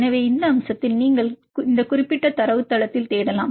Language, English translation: Tamil, So, on this aspect you can search in this particular database